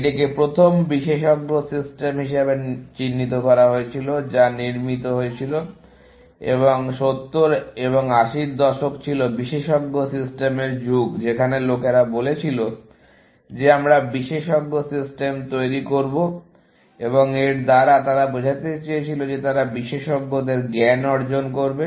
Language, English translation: Bengali, It was touted as the first expert system, which was built, and 70s and 80s was the era of expert systems where, people said that we will build expert systems, and by this, they meant that they will elicit the knowledge of experts, put it into a program, and the program will then, perform at the level of an expert